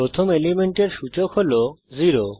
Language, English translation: Bengali, The index of the first element is 0